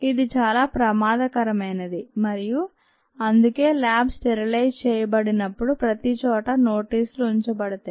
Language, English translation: Telugu, it is rather dangerous and thats why when ah lab is sterilized, there are notices put up everywhere